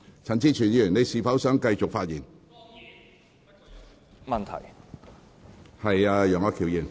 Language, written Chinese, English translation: Cantonese, 陳志全議員，你是否想繼續發言？, Mr CHAN Chi - chuen do you want to continue with your speech?